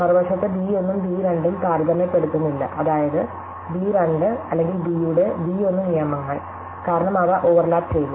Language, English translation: Malayalam, On the other hand, b 1 and b 2 do not or not comparable, that is b 1 rules out b 2 or b, because they overlapped